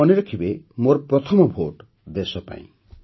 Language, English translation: Odia, And do remember 'My first vote for the country'